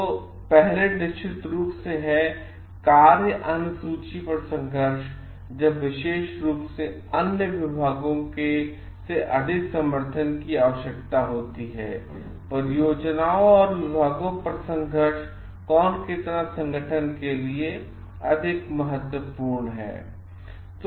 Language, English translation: Hindi, So, first is of course, conflicts over schedules, where they more when more specifically when support is needed from other departments; conflicts over projects and departments which are more important to the organization